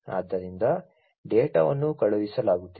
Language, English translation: Kannada, So, the data are being sent, right